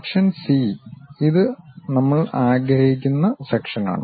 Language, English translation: Malayalam, Section C, this is the section what we would like to have